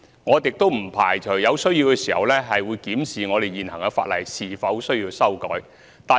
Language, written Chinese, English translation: Cantonese, 我們也不排除在有需要時會檢視是否須修改現行法例。, We do not rule out the possibility of examining whether or not existing legislation has to be amended when necessary